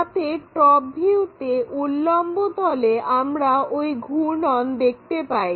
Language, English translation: Bengali, So, that in the vertical plane, ah top view we can see that rotation